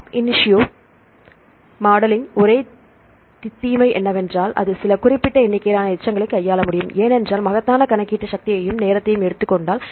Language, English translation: Tamil, The only the disadvantage of the ab initio modeling is it can handle some limited number of residues, because if takes enormous computational power and the time